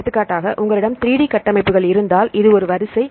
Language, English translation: Tamil, So, for example, if you have the 3D structures right this is a sequence